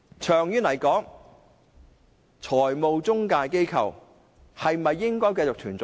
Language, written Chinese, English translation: Cantonese, 長遠而言，中介公司是否應該繼續存在呢？, In the long run should intermediaries continue to exist?